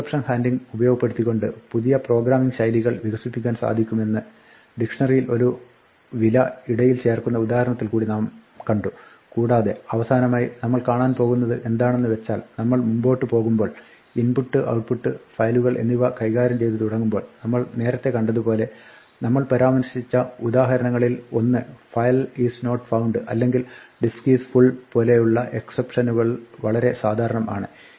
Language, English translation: Malayalam, We also saw with that inserting a value into a dictionary example that we can exploit exception handling to develop new styles of programming and finally, what we will see is that, as we go ahead and we start dealing with input output and files exceptions will be rather more common as we saw earlier one of the examples we mentioned was a file is not found or a disk is full